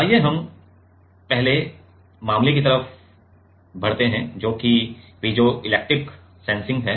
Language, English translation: Hindi, So, let us move to the first case that is piezoelectric sensing